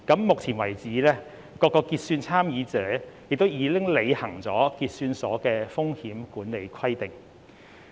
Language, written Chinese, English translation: Cantonese, 目前為止，各個結算參與者亦已履行結算所的風險管理規定。, So far clearing participants have met the risk management requirements of the clearing houses